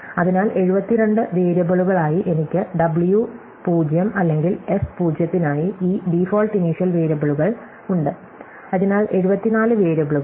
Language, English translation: Malayalam, So, as 72 variables plus I have these default initial variables for w0 or s0, so I have, 74 variables